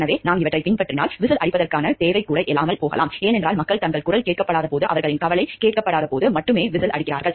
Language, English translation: Tamil, So, if we are following these things the need for whistle blowing may not even arise because people go for whistle blowing only when their; people go for whistle blowing only when they feel like their voices are not heard, their concerns are not heard